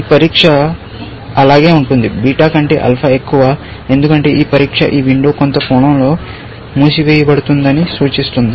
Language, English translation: Telugu, This test will remain the same; alpha greater than beta, because this test signifies that this window has closed in some sense